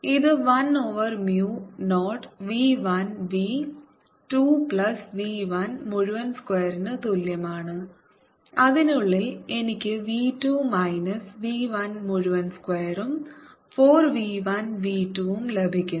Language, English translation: Malayalam, this is equal to one over mu zero v one v two plus v one whole square and inside i get v two minus v one whole square plus four v one v two